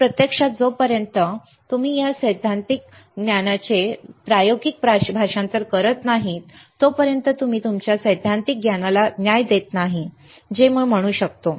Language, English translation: Marathi, So, actually it until unless you translate it to experimental your theoretical knowledge you are not doing justice to your theoretical knowledge that is what I can say